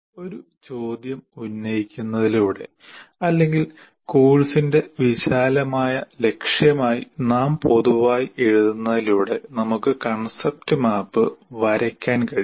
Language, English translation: Malayalam, So by posing as a question or what we generally write as broad aim of the course, from there I can draw the concept map